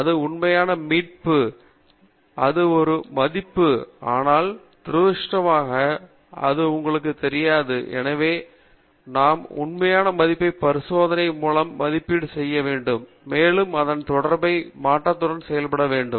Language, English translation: Tamil, Eta i is the true value, it is the absolute value, but unfortunately, we do not know that, and so we need to estimate what the true value may be by doing experiments, and also living with the associated variability